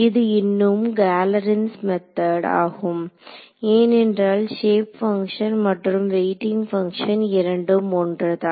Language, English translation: Tamil, This is still Galerkin’s method because the shape functions and the weight functions are the same